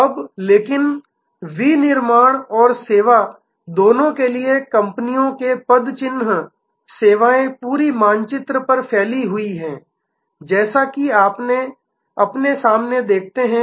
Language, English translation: Hindi, Now, but the companies footprint for both manufacturing and service, services are spread over the whole map as you see in front of you